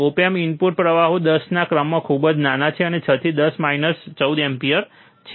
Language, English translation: Gujarati, Op amps the input currents are very small of order of 10 is to minus 6 to 10 is to minus 14 ampere